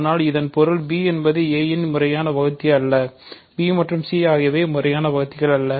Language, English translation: Tamil, But this means b is not a proper divisor of a, b and c are not proper divisors